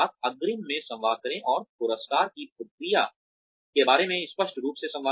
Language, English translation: Hindi, Communicate in advance and communicate clearly, about the process of rewards